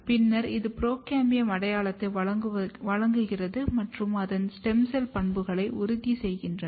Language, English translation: Tamil, And then provides this procambium identity and ensures its stem cell property